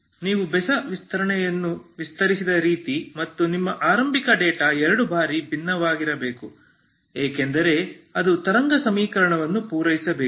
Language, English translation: Kannada, The way you have extended odd extension and your initial data has to be twice differentiable because it has to satisfy the wave equation